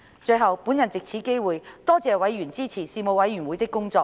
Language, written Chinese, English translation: Cantonese, 最後，我藉此機會，多謝委員支持事務委員會的工作。, Finally I would like to take this opportunity to thank members for their support to the work of the Panel